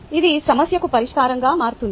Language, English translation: Telugu, ok, this becomes a solution to the problem